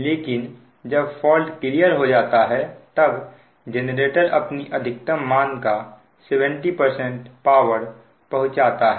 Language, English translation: Hindi, but when the fault is cleared generator is delivering seventy percent of the original maximum value